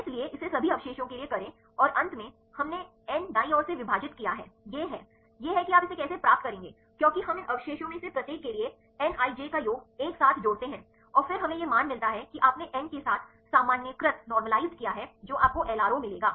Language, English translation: Hindi, So, so do it for all the residues and finally, we divided by n right this is the this; this is how you will get this for we do the summation of n ij for each of these residues sum up together and then we get this a value right you normalized with the n you will get LRO